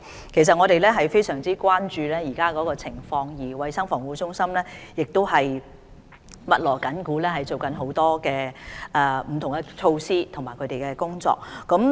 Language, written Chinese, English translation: Cantonese, 其實我們非常關注現時的情況，而衞生防護中心亦正在密鑼緊鼓推行不同的措施和工作。, As a matter of fact we are greatly concerned about the present situation and CHP has made an all - out effort to carry out various measures and actions